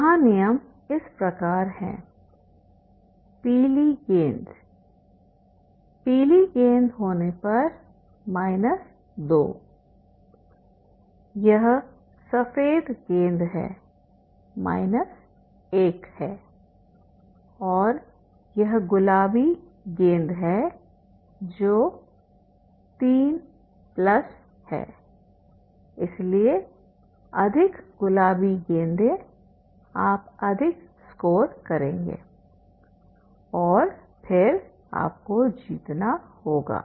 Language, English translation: Hindi, Here rule is like this, this is the yellow ball, yellow ball is having the minus 2, this is the white ball which is having the minus 1 and this is a pink ball which is having the plus 3